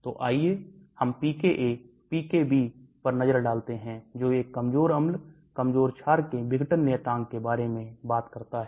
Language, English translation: Hindi, So let us look at the pKa, pKb, which talks about the dissociation constants of a weak acids, weak basic and so on Let us look at it